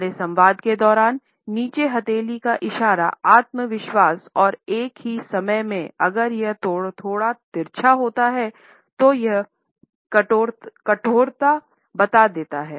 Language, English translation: Hindi, During our dialogue, this down palm gesture also suggest a confidence and at the same time if it is slightly tilted in this fashion it also conveys a simultaneous rigidity